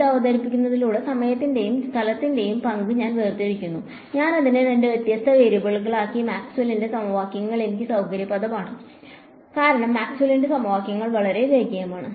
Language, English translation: Malayalam, By introducing this I am also separating the role of time and space, I made it into two separate variables and I can that is convenient for me with Maxwell’s equations because Maxwell’s equations are nicely linear right